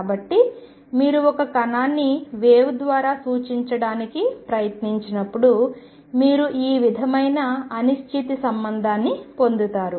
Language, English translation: Telugu, So, the moment you try to represent a particle by a wave, you get this sort of uncertainty relationship